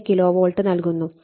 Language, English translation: Malayalam, 5 kilovolt right